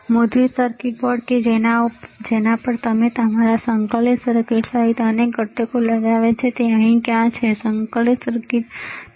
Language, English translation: Gujarati, Printed circuit board on which you have mounted several components including your integrated circuit, where is it here, integrated circuit, right